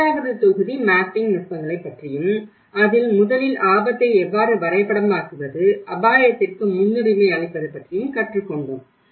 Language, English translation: Tamil, The second module we also learnt about the mapping techniques, how first map the risk, prioritize the risk